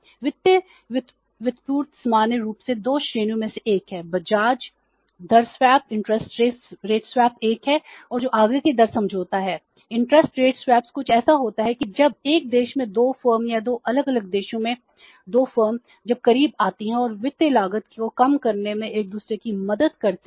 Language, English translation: Hindi, Interested swaps is like something that when two firms in the one country or maybe two firms in the two different countries when they come closer and help each other in reducing the financial cost